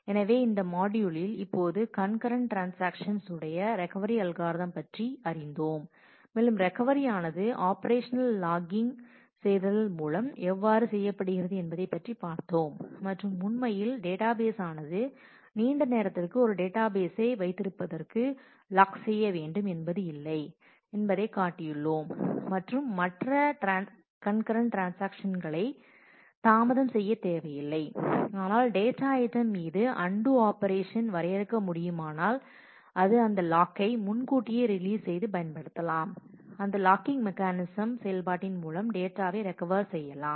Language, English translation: Tamil, So, in this module we have expose ourselves with the Recovery Algorithms now for concurrent transactions as well and we have shown that how recovery can be done using operational logging, operations logging and making sure that really the database may not need to hold on to a lock for a long time on the data item and delay other transactions, but if it can define the undo operation on the on the data on the data item, then it can release that log early and use that logging mechanism operation logging mechanism to recover the data